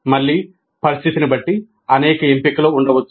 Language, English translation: Telugu, Again, depending upon the situation, there can be several options